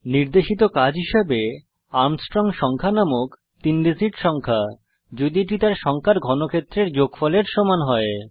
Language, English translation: Bengali, For assignment , a three digit number is called Armstrong Number if it is equal to the sum of cubes of its digits